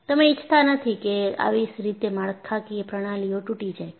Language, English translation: Gujarati, And, you do not want to have your structural systems to collapse like that